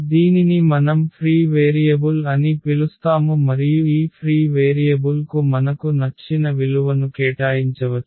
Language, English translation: Telugu, So, this is what we call the free variable and this free variable we can assign any value we like